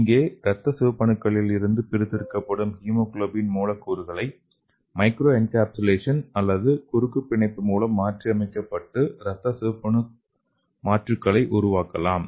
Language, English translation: Tamil, so here the hemoglobin molecules extracted from red blood cells are modified by microencapsulation or cross linkage to produce red blood cell substitutes